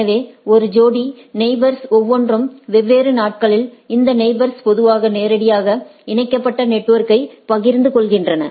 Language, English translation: Tamil, So, a pair of neighbors each in a different days these neighbors typically share directly typically share a directly connected network right